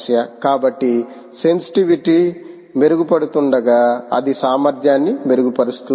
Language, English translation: Telugu, so, while sensitivity improves its ability to